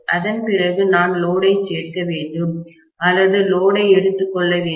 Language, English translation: Tamil, After that I have to include the load or take the load into account